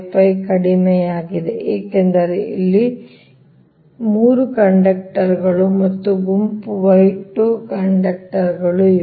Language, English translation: Kannada, point four, five, five, because here three conductors are there and group y, two conductors are there